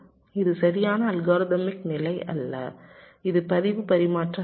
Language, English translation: Tamil, this is not exactly algorithmic level, this is